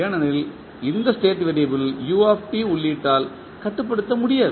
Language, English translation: Tamil, Because this state variable is not controllable by the input u t